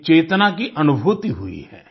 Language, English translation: Hindi, There has been a sense of realisation